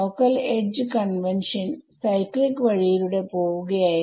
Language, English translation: Malayalam, So, that is the local edge convention local edge convention was just going in a cyclic way